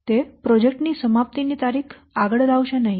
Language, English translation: Gujarati, It will not bring forward a project completion date